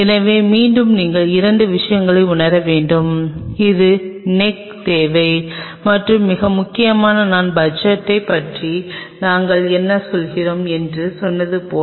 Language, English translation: Tamil, So, again you have to realize couple of a stuff, it is the neck requirement and most importantly as I told you say about the budget what are we talking about